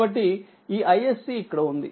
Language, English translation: Telugu, So, that is i s c